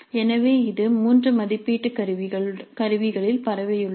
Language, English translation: Tamil, So this is spread over 3 assessment instruments